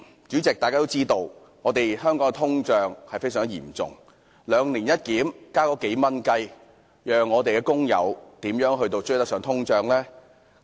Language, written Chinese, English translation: Cantonese, 主席，大家都知道香港的通脹問題非常嚴重，"兩年一檢"只上調數元，試問工友的收入怎能追上通脹？, President it is a well - known fact that the inflation problem is very serious in Hong Kong . As the minimum wage is increased by only several dollars following the bi - annual review how can workers incomes keep pace with inflation?